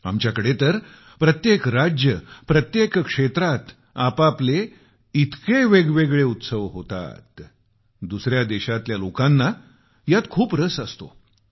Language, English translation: Marathi, Here, every state, every region is replete with distinct festivals, generating a lot of interest in people from other countries